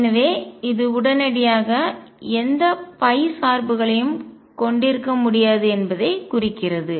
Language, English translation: Tamil, So, this implies immediately that P cannot have any phi dependence